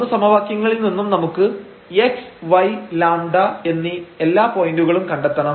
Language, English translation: Malayalam, So, out of these 3 equations we have to find all the points meaning this x y and lambda